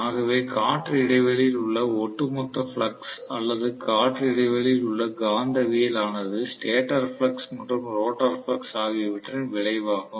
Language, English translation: Tamil, So the overall flux in the air gap or magnetism in the air gap is resultant of the stator flux and rotor flux